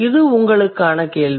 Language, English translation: Tamil, So, that's a question for you